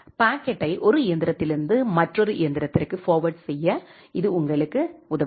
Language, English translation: Tamil, It helps you to forward the packet from one machine to another machine